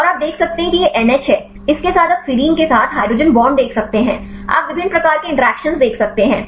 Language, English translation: Hindi, And you can see this is N H; with this one you can see the hydrogen bonds with the serine, you can see different types of interactions